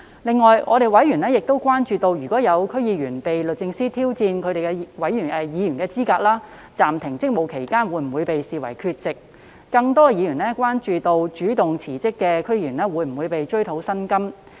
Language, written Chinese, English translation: Cantonese, 此外，委員亦關注到，若有區議員被律政司司長挑戰其議員資格，在暫停職務期間會否被視為缺席；更多委員關注主動辭職的區議員會否被追討薪酬。, In addition members were also concerned about whether DC members whose qualification was challenged by the Secretary for Justice would be regarded as absent during the suspension of duties; even more members were concerned about whether the remunerations of DC members who resigned on their initiative would be recovered